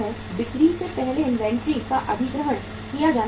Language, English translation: Hindi, Inventories must be acquired ahead of the sales